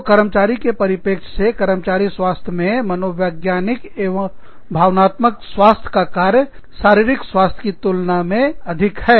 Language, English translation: Hindi, So, from the employee's perspective, it is much more, a function of psychological and emotional health, and social health, than it is of physical health